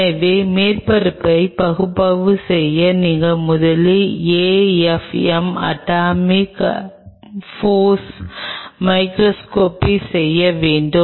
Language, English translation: Tamil, So, this is how we will be proceeding first you should do an AFM atomic force microscopy to analyze the surface